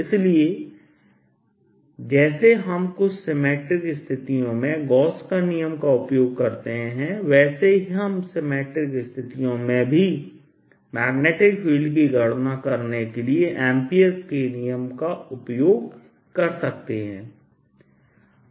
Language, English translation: Hindi, so just like we use gauss's in certain symmetric situations, we can also use ampere's law and symmetry situations to calculate the magnetic field